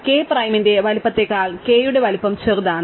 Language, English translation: Malayalam, So, the size of k is smaller than the size of k prime